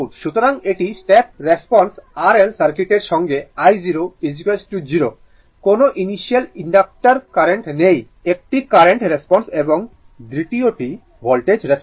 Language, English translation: Bengali, So, this is the step response of an R L circuit with I 0 is equal to 0, no initial inductor current, right; a current response and second is the voltage response so